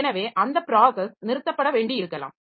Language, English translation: Tamil, So, that process may be needed to be stopped